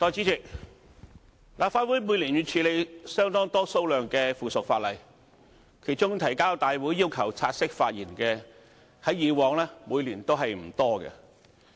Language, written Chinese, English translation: Cantonese, 代理主席，立法會每年要處理相當多數量的附屬法例，其中提交大會要求本會察悉並讓議員發言的，在以往每年均不多。, Deputy President the Legislative Council handles a large number of subsidiary legislation each year . In the past the number of subsidiary legislation requesting this Council to take note of and Members to speak on was not that many each year